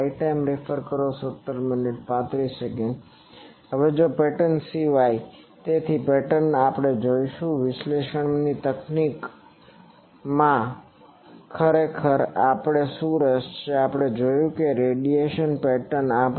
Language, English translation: Gujarati, Now, apart from pattern; so from pattern we will see what are the interest actually in analysis techniques also, we have seen that from a radiation pattern